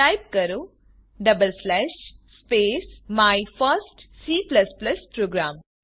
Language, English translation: Gujarati, Type double slash // space My first C++ program